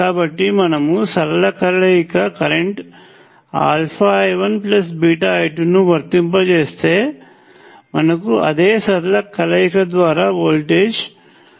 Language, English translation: Telugu, So, if we apply a linear combination alpha I 1 plus beta I 2, we will get the same linear combination responses alpha V 1 plus beta V 2